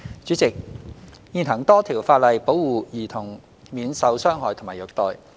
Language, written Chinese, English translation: Cantonese, 主席，現行多項法例保護兒童免受傷害及虐待。, President at present there are a number of legislation in place that protect children from harm and abuse